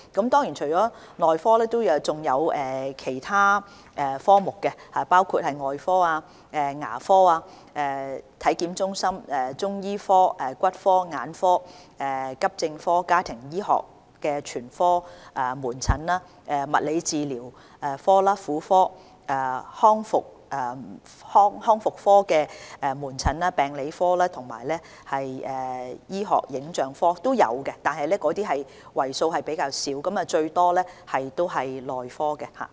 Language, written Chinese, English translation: Cantonese, 當然，除了內科，還有其他科目，包括外科、牙科、體檢中心、中醫科、骨科、眼科、急症科、家庭醫學全科、物理治療科、婦科、康復科、病理科和醫學影像科等，但這些為數較少，主要是內科。, Certainly apart from the Medicine Clinic there were other specialties including the Surgery Clinic Dental Clinic Health Assessment and Management Centre Chinese Medicine Clinic Orthopaedic Clinic Ophthalmology Clinic Accident and Emergency Department Family Medicine Clinic Physiotherapy Department Gynaecology Clinic Rehabilitation Clinic Department of Pathology and Department of Medical Imaging . However these accounted for a smaller proportion . It was mainly the Medicine Clinic